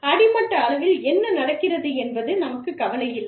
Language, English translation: Tamil, We do not care, what is going on at the, grassroots level